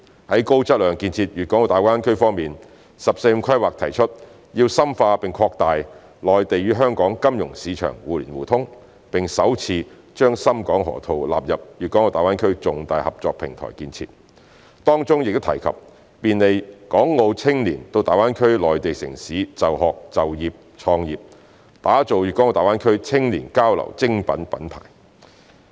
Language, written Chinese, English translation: Cantonese, 在高質量建設粵港澳大灣區方面，"十四五"規劃提出要深化並擴大內地與香港金融市場互聯互通，並首次把深港河套納入粵港澳重大合作平台建設，當中亦提及便利港澳青年到大灣區內地城市就學、就業、創業，打造粤港澳大灣區青少年交流精品品牌。, In respect of the high - quality development of GBA the 14th Five - Year Plan has proposed to deepen and widen mutual access between the financial markets of the Mainland and Hong Kong and include for the first time the Shenzhen - Hong Kong Loop as one of the major platforms for Guangdong - Hong Kong - Macao cooperation to be developed . It has also mentioned that facilitation will be provided for the young people of Hong Kong and Macao to study work and start business in the Mainland cities of GBA and will establish a brand of quality exchanges among the young people of GBA